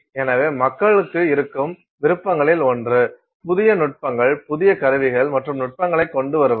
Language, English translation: Tamil, So, one of the options that people have then is to create to come up with new techniques, new instruments and techniques